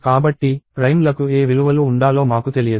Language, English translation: Telugu, So, we do not know what values must be there for primes